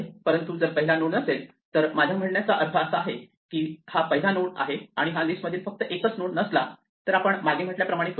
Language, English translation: Marathi, This is the easy case, but if it is not the first node, I mean, it is the first node and this is not also the only node in the list then what we do is we do what we said before